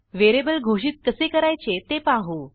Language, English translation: Marathi, let us learn how to declare multiple variables